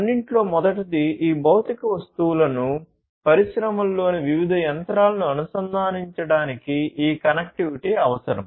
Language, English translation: Telugu, So, first of all this connectivity is required in order to connect these physical objects; these different machines in the industries and so on